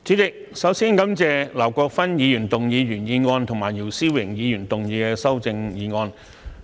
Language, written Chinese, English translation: Cantonese, 主席，首先，我感謝劉國勳議員的原議案和姚思榮議員的修正案。, President first I would like to thank Mr LAU Kwok - fan for his original motion and Mr YIU Si - wing for his amendment